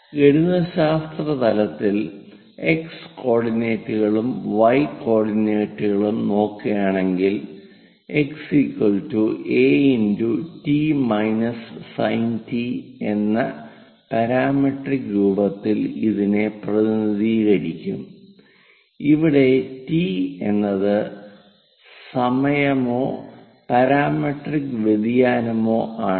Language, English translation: Malayalam, And at mathematical level the x coordinates and y coordinates, one will be represented in a parametric form x is equal to a multiplied by t minus sin t, where t is the time or parametric variation